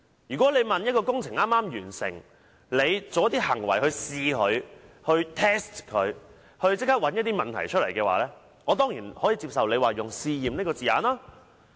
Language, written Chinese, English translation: Cantonese, 如果一項政府工程剛剛完成，政府作出一些行為來試驗它以期找出一些問題，我當然可以接受政府用"試驗"二字形容該等行為。, If a public works project has just been completed and the Government takes actions to test it to see if there are problems with it I surely find it acceptable for the Government to describe such actions as testing